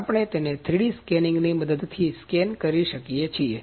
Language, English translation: Gujarati, We can scan it using a 3D scanning